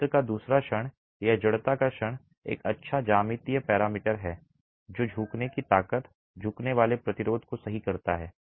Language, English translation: Hindi, The second moment of area, a moment of inertia is a good geometrical parameter that captures the bending strength, the bending resistance, right